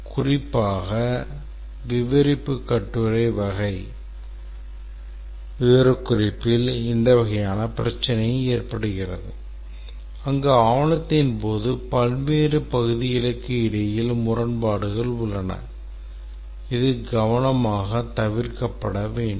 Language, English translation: Tamil, Specifically this kind of problem occur in narrative essay type specification where contradictions between various parts of the document exist and this is to be consciously avoided